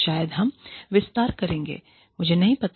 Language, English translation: Hindi, Maybe, we will extend, I do not know